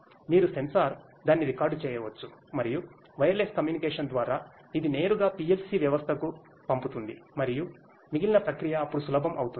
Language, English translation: Telugu, You can just the sensor records it and through wireless communication, it directly sends to the PLC system and the rest of the process then becomes easier